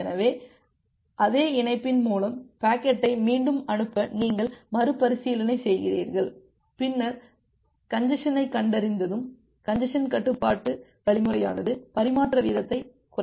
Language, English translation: Tamil, So, you make a retransmission to retransmit the packet over that same connection, then we have the congestion control the congestion control algorithm it reduces the transmission rate once congestion is detected